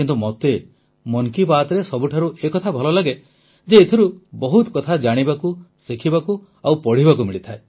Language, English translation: Odia, But for me the best thing that I like in 'Mann Ki Baat' is that I get to learn and read a lot